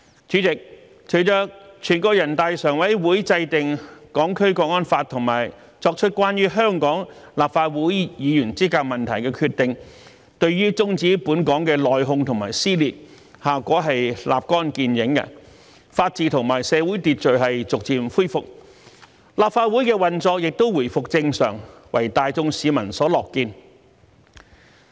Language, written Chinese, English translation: Cantonese, 主席，隨着全國人大常委會制定《香港國安法》及作出關於香港立法會議員資格問題的決定，對於終止本港的內訌和撕裂，效果立竿見影，法治和社會秩序逐漸恢復，立法會的運作也回復正常，為大眾市民所樂見。, President the formulation of the Hong Kong National Security Law by the Standing Committee of the National Peoples Congress and the decision that sets the boundary for the qualification of the Hong Kong Legislative Council Members had produced an instant effect and stopped the internal conflicts and dissension . The rule of law and social order have been gradually restored . The Legislative Council was also back on its track